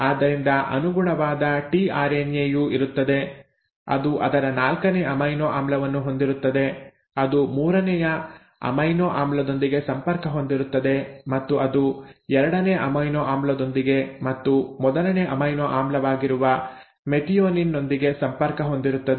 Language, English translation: Kannada, So there will be a corresponding tRNA which would have its fourth amino acid which was connected to the third amino acid which in turn was connected to the second amino acid and then the first amino acid which was the methionine